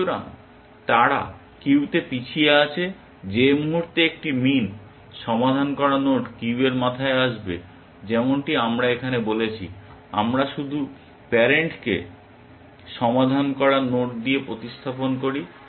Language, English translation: Bengali, So, they are behind in the queue, the moment a min solved node comes into the head of the queue as we have said here, we just replace the parent with the solved node